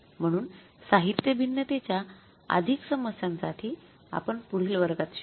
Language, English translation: Marathi, So further more problems with regard to the material variances we will do in the next class